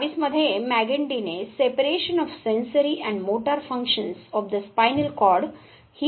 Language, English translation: Marathi, Magendie in 1822 gave this concept of separation of ‘Sensory and motor functions of the spinal cord’